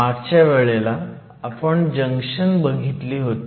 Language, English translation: Marathi, Last class we started looking at junctions